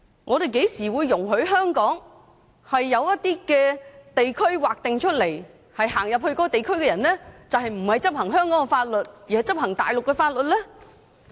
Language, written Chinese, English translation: Cantonese, 我們甚麼時候會容許在香港劃定某些地區，對走入該地區的人不執行香港的法律，而是執行大陸法律的呢？, When have we ever permitted the designation of an area in Hong Kong where the laws of Hong Kong will not be applied to people who have entered the area and Mainland laws are applied instead?